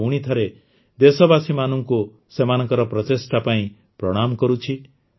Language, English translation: Odia, I once again salute the countrymen for their efforts